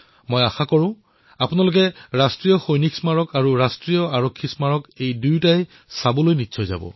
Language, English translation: Assamese, I do hope that you will pay a visit to the National Soldiers' Memorial and the National Police Memorial